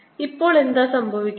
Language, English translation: Malayalam, what is happening now